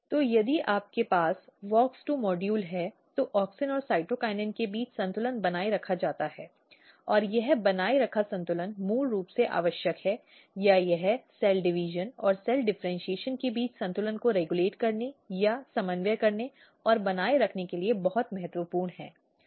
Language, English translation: Hindi, So, if you have WOX2 modules the balance between auxin and cytokinin is maintained, and this maintained balance is basically required or it is very important for regulating or coordinating or maintaining balance between cell division and cell differentiation